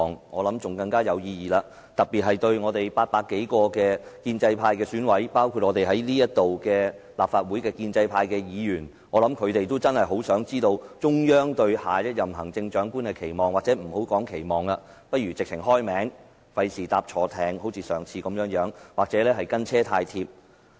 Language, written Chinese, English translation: Cantonese, 我想，這樣會來得更有意義，特別對我們800多名建制派選委而言，包括在席的立法會建制派議員，我想他們真的很想知道中央對下任行政長官的期望，或不說期望了，不如直接說出名字，免他們像上次般"押錯注"或"跟車太貼"。, I believe this is more meaningful especially to over 800 members of the Election Committee EC from the pro - establishment camp including pro - establishment legislators present . I think they really wish to know the Central Authorities expectations for the next Chief Executive or perhaps we do not need to talk about expectations at all as it is better if they can be given the name directly lest they will place the wrong bet or follow too close like they did last time